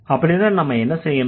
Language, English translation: Tamil, So, then what do we need